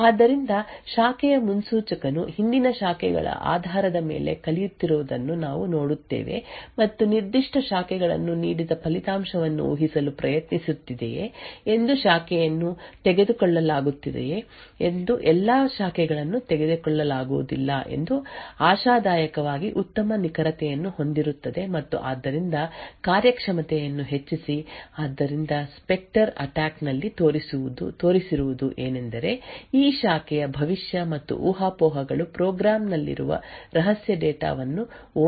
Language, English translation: Kannada, So does we see that the branch predictor is learning based on prior branches and trying to predict the result offered particular branches whether the branch would be taken all the branch would not be taken the speculative execution that follows would hopefully have a better accuracy and therefore would boost the performance so what was shown in the specter attack was that these branch prediction plus the speculation could result in a vulnerability by which secret data present in the program can be read